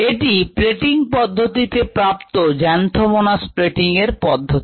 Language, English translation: Bengali, this was most likely obtained by the plating method, xanthomonas plating method